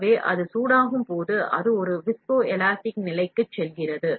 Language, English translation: Tamil, So, when it is heated, it goes to a viscoelastic state